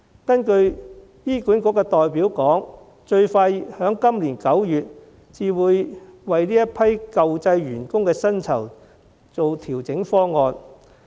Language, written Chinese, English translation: Cantonese, 根據醫管局代表的說法，最快在今年9月才會提出這批舊制員工的薪酬調整方案。, According to HA representatives the proposal for pay adjustment for such staff under the old system will only be raised as early as September this year